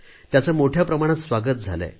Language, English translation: Marathi, This has gained wide acceptance